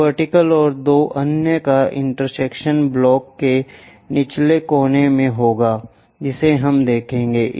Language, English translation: Hindi, The intersection of this vertical and two others would be at lower front corner of a block with square corners we will see